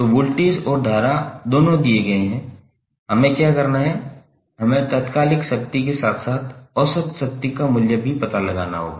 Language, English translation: Hindi, So voltage v and current both are given what we have to do we have to find out the value of instantaneous as well as average power